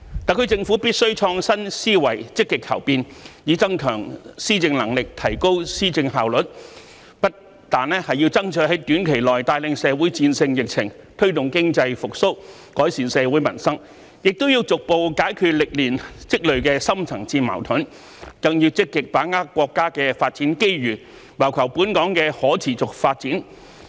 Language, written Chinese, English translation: Cantonese, 特區政府必須創新思維，積極求變，以增強施政能力，提高施政效率，不但要爭取在短期內帶領社會戰勝疫情，推動經濟復蘇，改善社會民生，亦要逐步解決歷年積聚的深層次矛盾，更要積極把握國家的發展機遇，謀求本港的可持續發展。, The SAR Government must be innovative in its mindset and be proactive in seeking changes with a view to strengthening its governing capabilities and enhancing its efficiency of governance . Not only does it have to strive for leading our society to win the epidemic battle within a short period of time promoting economic recovery and improving peoples livelihood but it also has to gradually resolve the long - standing deep - rooted conflicts and even actively seize the development opportunities of the nation for the sustainable development of Hong Kong